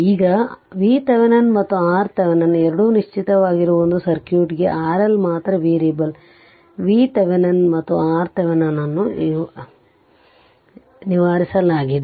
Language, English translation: Kannada, Now, for a given circuit that V Thevenin and R Thevenin both are fixed right, only R L is variable V Thevenin and R Thevenin is fixed